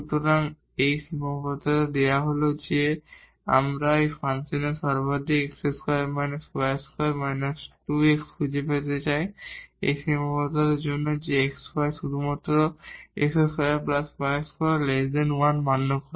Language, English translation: Bengali, So, this is the constraint is given that we want to find the maximum minimum of this function x square minus y square minus 2 x under this constraint that the x y satisfies only x square plus y square less than 1